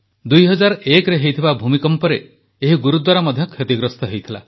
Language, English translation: Odia, During the 2001 earthquake this Gurudwara too faced damage